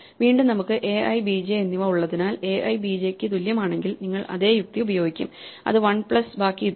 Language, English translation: Malayalam, Again since we have a i and b j then you will use the same logic if a i is equal to b j then it is one plus the rest